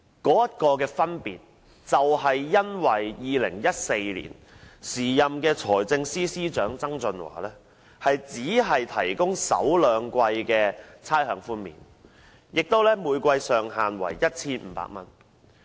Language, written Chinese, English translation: Cantonese, 當中的分別，在於2014年時任財政司司長曾俊華只提供首兩季差餉寬免，每季上限為 1,500 元。, The difference had arisen because then Financial Secretary John TSANG only offered rates concessions for the first two quarters of 2014 subject to a ceiling of 1,500 per quarter